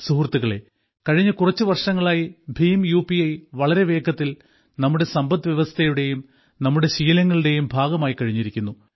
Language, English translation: Malayalam, Friends, in the last few years, BHIM UPI has rapidly become a part of our economy and habits